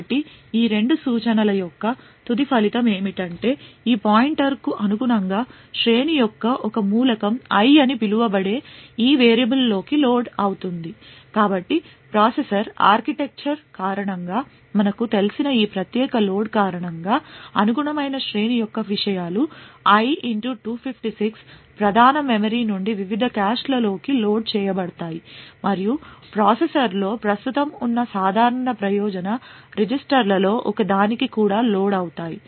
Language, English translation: Telugu, Therefore, the end result of these two instructions is that corresponding to this pointer one element of the array is loaded into this variable called i, so due to this particular load what we know due to the processor architecture is that the contents of the array corresponding to i * 256 would be loaded from the main memory into the various caches and would also get loaded into one of the general purpose registers present in the processor